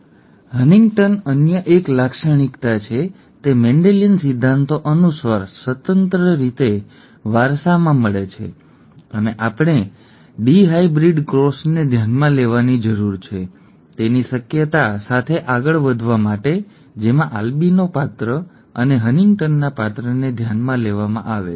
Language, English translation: Gujarati, Albino is 1 characteristic, Huntington is another character, they are independently inherited according to Mendelian principles and to come up with the probability we need to consider a dihybrid cross in which albino character and HuntingtonÕs character are considered